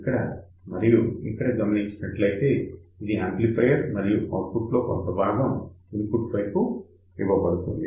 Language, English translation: Telugu, You just think about from here to here, this is an amplifier and part of the output is fed back to the input side